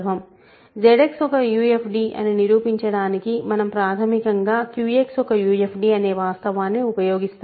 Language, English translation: Telugu, Now, to prove that Z X is a UFD what we want to do is basically use the fact that Q X is a UFD